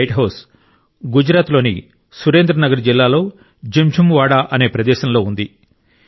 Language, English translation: Telugu, This light house is at a place called Jinjhuwada in Surendra Nagar district of Gujarat